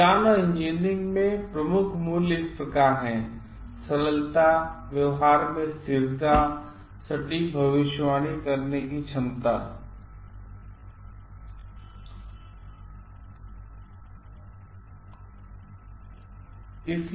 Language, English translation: Hindi, The key values in science and engineering are simplicity, consistency in behaviour and ability to yield accurate predictability